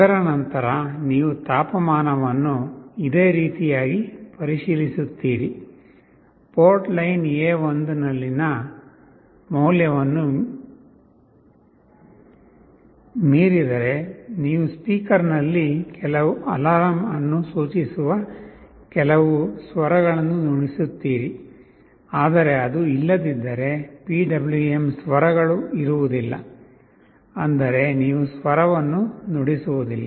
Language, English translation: Kannada, After that you check similar thing for the temperature; if the value on port line A1 is exceeding some threshold, then you play a tone on the speaker that indicates some alarm, but if it is not there will be no PWM tone; that means, you do not play a tone